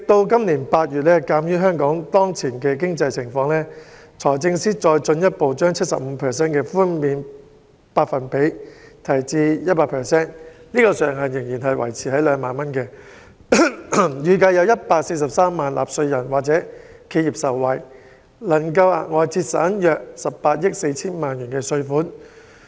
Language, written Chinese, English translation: Cantonese, 今年8月，鑒於香港當前經濟情況，財政司司長再進一步將 75% 的寬減百分比提升至 100%， 上限仍然維持於2萬元，預計有143萬名納稅人或企業受惠，能額外節省約18億 4,000 萬元稅款。, In August this year in the light of the prevailing economic conditions in Hong Kong the Financial Secretary further increased the percentage rate of tax reductions from 75 % to 100 % while retaining the ceiling of 20,000 per case . About 1.43 million taxpayers or enterprises are expected to benefit from a further saving of 1.84 million in tax payment